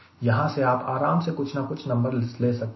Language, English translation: Hindi, you can easily get some number